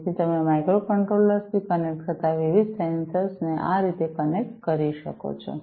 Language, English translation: Gujarati, So, this is how you connect the different sensors you connect to the microcontrollers